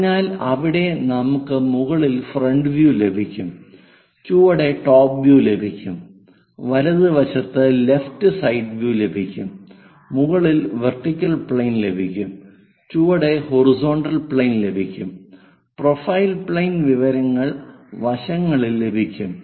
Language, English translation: Malayalam, So, there we will be having a front view on top, a top view on the bottom, and a left side view on the right hand side, a vertical plane on top, a horizontal plane at bottom, a profile plane information at side that what we call first angle projection